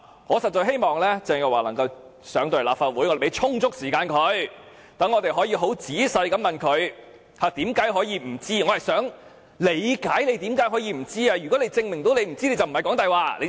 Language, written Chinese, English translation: Cantonese, 我實在希望鄭若驊能夠前來立法會，讓我們可以仔細地問她為何可以不知道該地庫是僭建物，我們會給她充足時間解釋。, I really hope Teresa CHENG can come to this Council so that we can ask her in detail how it was possible that she did not know the basement was an unauthorized structure . We will give her enough time to explain